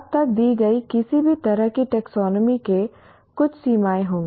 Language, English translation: Hindi, To that extent any taxonomy as given now will have some limitations